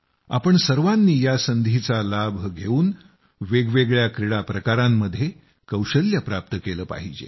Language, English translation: Marathi, My dear young friends, taking advantage of this opportunity, we must garner expertise in a variety of sports